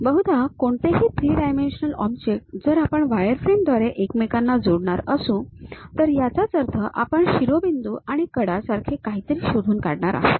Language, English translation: Marathi, Usually any three dimensional object, if we are going to connect it by wireframes; that means, we are going to identify something like vertices and something like edges